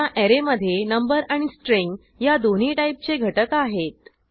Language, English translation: Marathi, This array has elements of both number and string type